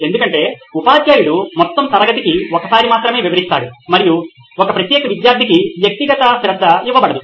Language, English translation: Telugu, Because probably the teacher would only explain it once for the entire class and no individual attention is given for one particular student